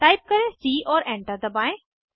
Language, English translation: Hindi, Type b and press Enter